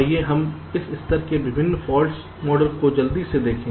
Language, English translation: Hindi, so let us quickly look at the various fault models at this levels